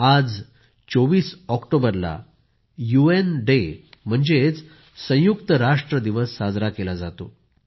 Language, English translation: Marathi, today on 24th October, UN Day i